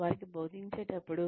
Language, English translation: Telugu, When they are being taught